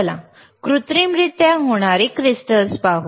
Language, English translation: Marathi, So, these are all synthetically occurring crystals